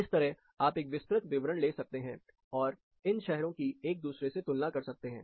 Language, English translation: Hindi, So, like this you can take a pretty detailed look, and compare these cities with one another